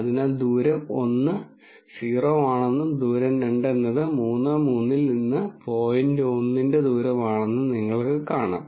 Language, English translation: Malayalam, So, you see that distance one is 0 and distance two is the distance of the point 1 1 from 3 3